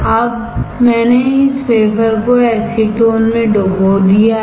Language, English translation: Hindi, Now I have dipped this wafer in acetone